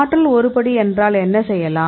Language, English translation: Tamil, So, energy is one step; so here what we did